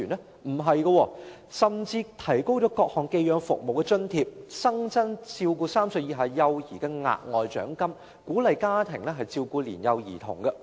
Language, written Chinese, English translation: Cantonese, 並不是，政府提高了各項寄養服務的津貼，並新增照顧3歲以下幼兒的額外獎金，以鼓勵家庭照顧年幼兒童。, No the Government has raised the allowance for various foster care services and introduced an additional bonus for caring children under three years of age so as to encourage foster care homes to take care of young children